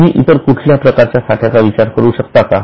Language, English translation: Marathi, Do you think of any other type of inventory